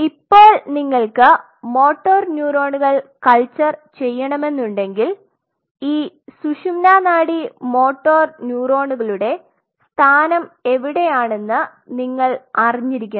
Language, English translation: Malayalam, So, now if you want to culture motor neurons you have to know the location of the motor neuron spinal cord motor neurons